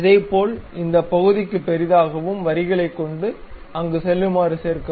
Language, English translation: Tamil, Similarly, zoom into this portion, join by lines, there to there